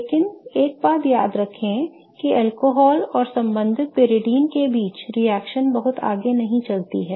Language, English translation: Hindi, But one thing to remember is that the reaction between alcohol and the corresponding pyridine is not very much forward driven